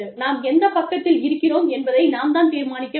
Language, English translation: Tamil, We have to decide, which side, we are on